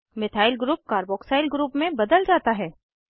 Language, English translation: Hindi, Methyl group is converted to a Carboxyl group